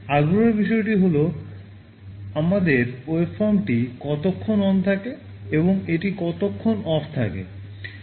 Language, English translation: Bengali, The matter of interest is that for how long our waveform is ON and for how long it is OFF